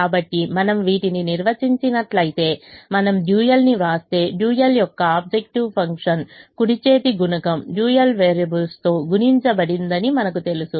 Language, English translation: Telugu, so if we define these, then if we write the dual, then we know that the objective function of the dual is the right hand side coefficient multiplied by the dual variables